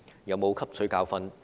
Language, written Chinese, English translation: Cantonese, 有否汲取教訓？, Have they learnt a lesson?